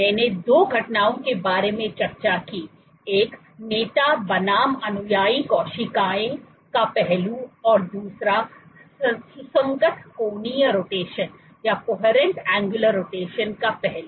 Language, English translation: Hindi, I discussed about two phenomena one is this aspect of leader versus follower cells and also this aspect of coherent angular rotation